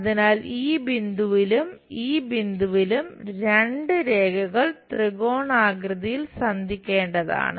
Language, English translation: Malayalam, So, at this point, at this point; two lines supposed to meet in the triangular format